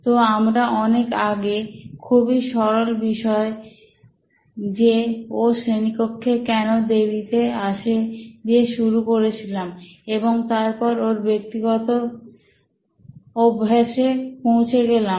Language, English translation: Bengali, So we started way back there with why was he late to class, a simple thing, and we come down to his personal habits